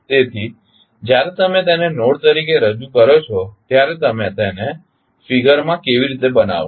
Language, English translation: Gujarati, So, when you represent them as a node how you will show them in the figure